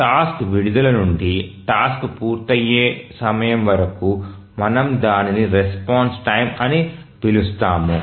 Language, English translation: Telugu, So the time from release of the task to the completion time of the task, we call it as a response time